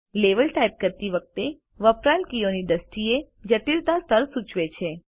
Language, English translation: Gujarati, Level indicates the level of complexity, in terms of the number of keys used when typing